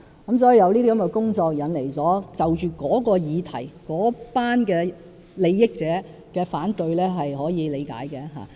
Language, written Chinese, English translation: Cantonese, 因此，這些工作引來該項議題的相關利益者的反對，是可以理解的。, Therefore these initiatives have aroused opposition from a certain group with vested interest which is understandable